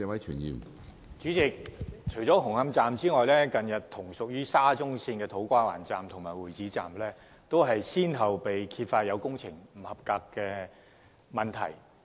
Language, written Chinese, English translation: Cantonese, 主席，除了紅磡站外，近日，同屬於沙中線的土瓜灣站及會展站，均先後揭發有工程不合格的問題。, President Hung Hom Station aside substandard works at To Kwa Wan Station and Exhibition Centre Station of SCL have also come to light